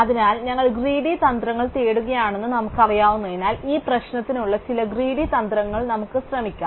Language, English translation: Malayalam, So, since we know we are looking for greedy strategies, let us try and suggest some greedy strategies for this problem